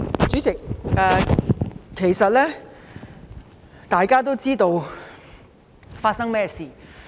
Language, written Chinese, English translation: Cantonese, 主席，大家其實都知道事情的來龍去脈。, President in fact we all know the ins and outs of this issue